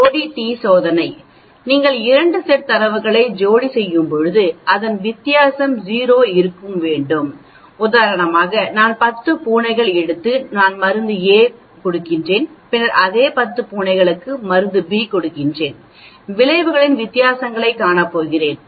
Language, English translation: Tamil, Paired t test, if you are pairing 2 sets of data then difference in result should be 0 for example, I take 10 cats and I test a drug A on the 10 cats and look at their outcome then on the same 10 cats I give drug B and look at the outcome